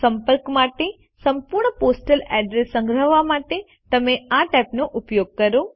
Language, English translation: Gujarati, Use this tab to store the complete postal address for the contact